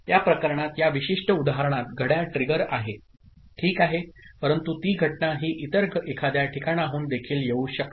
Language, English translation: Marathi, In this case the clock trigger in this particular example ok, but it that event that trigger can come from some other place also